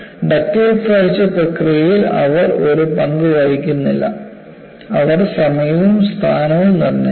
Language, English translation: Malayalam, And what is reported is, they do not play a role in the process of ductile fracture, they determine the instant and the location